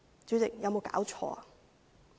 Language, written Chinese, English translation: Cantonese, 主席，有沒有搞錯呢？, President how could this be?